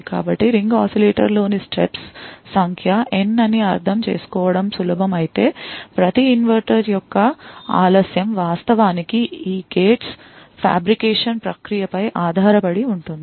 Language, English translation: Telugu, So, while it is easy to understand that n that is the number of stages in ring oscillator upends the frequency, the delay of each inverter that is t actually depends upon the fabrication process of these gates